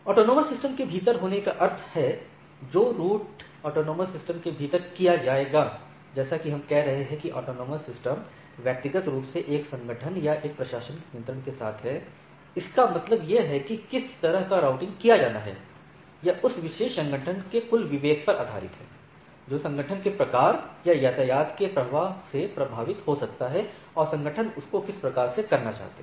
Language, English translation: Hindi, So, one is within the AS; that means, the routing which will be done within the AS, as we are saying these are these autonomous systems individually are with one organization or one administrative control; that means, what sort of routing has to be done is based on that the total discretion of that particular organization which may be influenced by the type of organization or type of traffic flow it is having and a nature of the organizations, or nature of the network they want to envisage and type of things